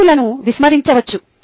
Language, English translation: Telugu, the audience can be ignored